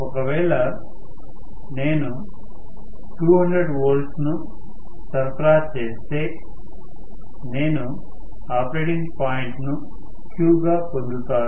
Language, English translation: Telugu, If I apply say, 200 volt, I am going to get the operating point as Q